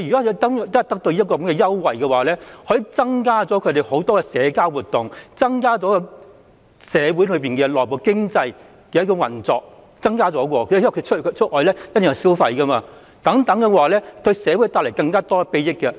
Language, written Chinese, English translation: Cantonese, 如果他們能夠享用有關優惠，他們便可以更常參與社交活動，從而加強社會內部的經濟運作，因為他們出行時一定會消費，這亦會為社會帶來更大裨益。, If they can enjoy the relevant concession they may participate in social activities more often and in turn enhance economic operation in our domestic community because they will definitely spend money once they go out . This will also bring more benefits to society